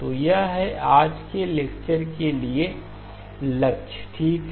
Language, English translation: Hindi, So that is the goal for today's lecture okay